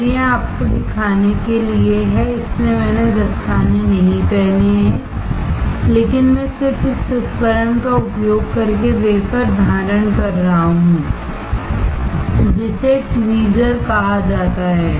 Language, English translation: Hindi, Again, this is just to show you, that is why I am not wearing gloves, but I am just holding the wafer using this tool called tweezer